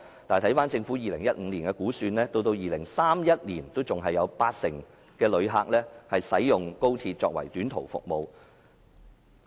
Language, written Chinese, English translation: Cantonese, 但是，根據政府2015年的估算，到2031年仍有八成旅客使用高鐵作為短途服務。, However according to the Governments forecast in 2015 80 % of XRL patronage will still use it for short - haul services in 2031